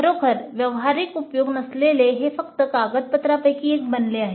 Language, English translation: Marathi, It would become simply one of documentation with really no practical use